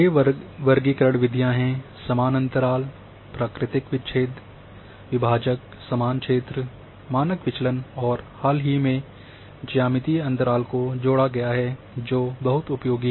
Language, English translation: Hindi, There are 6 classification methods; equal interval, natural breaks, quantile, equal area, standard deviations, and more recent it has been added is geometrical interval which is quite useful